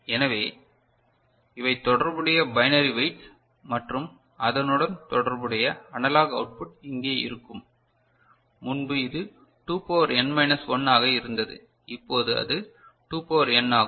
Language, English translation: Tamil, So, these are the corresponding binary weights and corresponding analog output will be here this way right, earlier it was 2 to the power n minus 1, now it is 2 to the power n